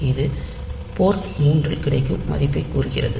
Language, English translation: Tamil, So, it says that the value available on port 3